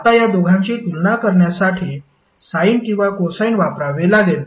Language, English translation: Marathi, Now in order to compare these two both of them either have to be sine or cosine